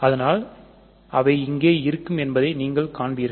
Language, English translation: Tamil, So, you will see that they will appear here